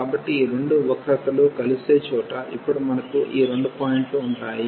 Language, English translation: Telugu, So, we will have these two points now where these two curves intersects